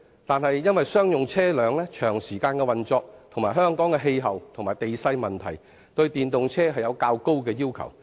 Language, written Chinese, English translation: Cantonese, 但是，由於商用車輛運作時間長及香港的氣候和地勢問題所限，對電動商用車有較高的要求。, But since commercial vehicles must operate longer hours and there are the constraints imposed by the local climate and relief any electric commercial vehicles to be introduced must satisfy very stringent technical requirements